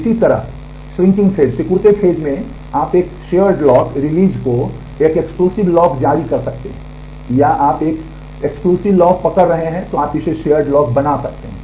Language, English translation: Hindi, Similarly, in the shrinking phase you can release a shared lock release an exclusive lock, or you are holding an exclusive lock you can make it a shared lock